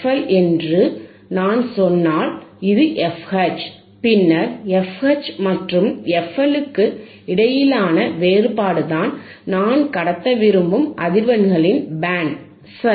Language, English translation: Tamil, And the difference between frequencies, if I say this is f L and this is f H, then a difference between f H and f L, this is my band of frequencies that I want to pass, alright